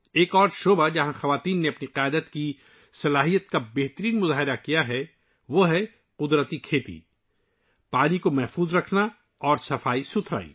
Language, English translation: Urdu, Another area where women have demonstrated their leadership abilities is natural farming, water conservation and sanitation